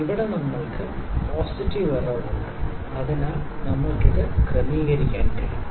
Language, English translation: Malayalam, Here we have the positive error, so, we can adjust this